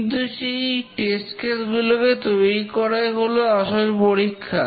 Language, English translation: Bengali, But creating those test cases are actually the challenge